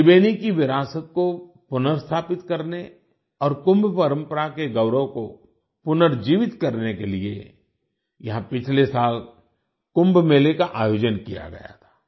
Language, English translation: Hindi, Kumbh Mela was organized here last year to restore the cultural heritage of Tribeni and revive the glory of Kumbh tradition